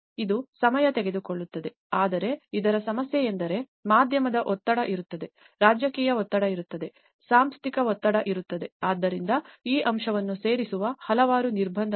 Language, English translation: Kannada, It will take time but the problem with this is the media pressure will be there, the political pressure will be there, the institutional pressure will be there, so a lot of constraints which will add on to this aspect